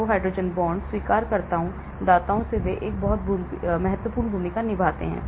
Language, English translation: Hindi, So, hydrogen bonds; acceptors, donors they play a very important role